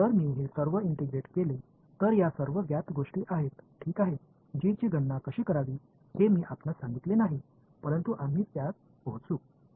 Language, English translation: Marathi, So, if I do all this integration this these are all known things ok, I have not told you how to calculate g, but we will get to it